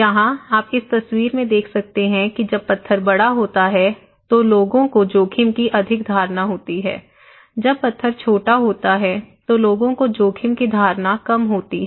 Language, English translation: Hindi, Here, you can see in this picture when the stone is bigger, people have greater perception of risk when the stone is smaller, people have less risk perception; a low risk perception